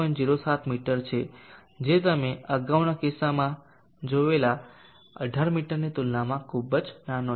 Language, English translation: Gujarati, 07 meters which is very, very small compare to the 18 meters that you saw in the earlier case